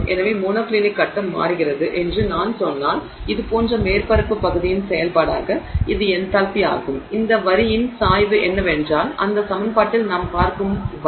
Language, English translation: Tamil, So if I say that the monoclinic phase changes its, you know, enthalpy as a function of surface area like this, then the slope of this line is that gamma that we are looking at in that equation